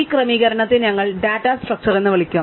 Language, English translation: Malayalam, So, we will call this setting up as data structures